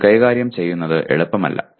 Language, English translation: Malayalam, It is not easy to handle either